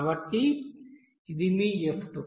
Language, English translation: Telugu, So this will be your f2